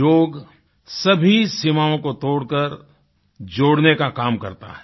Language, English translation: Hindi, Yoga breaks all barriers of borders and unites people